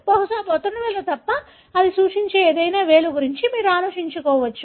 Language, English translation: Telugu, Except probably thumb, you can think of any finger that it represents